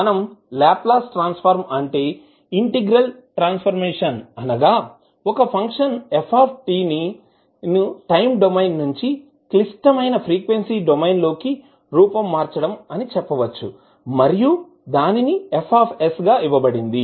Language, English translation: Telugu, We can say that Laplace transform is nothing but an integral transformation of of a function ft from the time domain into the complex frequency domain and it is given by fs